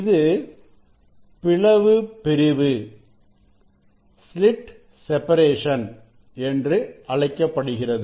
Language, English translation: Tamil, that is called slit separation